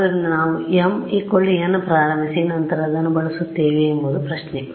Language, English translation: Kannada, So, the question is what we start with m equal to n and then use that